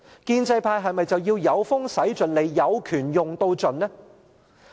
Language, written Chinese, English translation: Cantonese, 建制派是否要"有風駛盡 𢃇， 有權用到盡"？, Should the pro - establishment camp leverage all its resources and exercise its power to the fullest?